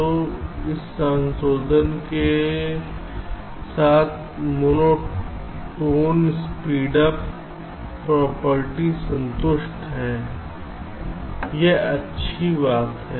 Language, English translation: Hindi, so with this modification the monotone speedup property is satisfied